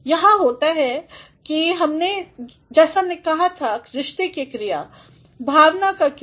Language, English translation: Hindi, There are as we said verbs of relation, verbs of emotion